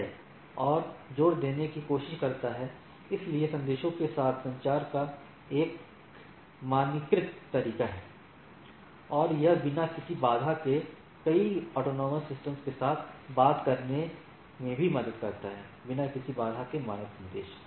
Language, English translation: Hindi, What it tries to emphasize, so there is a standardized way of communication between the with the messages, and it also helps in talking with several autonomous systems without any with standard messages without any hindrance